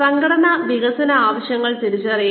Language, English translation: Malayalam, Identify organizational development needs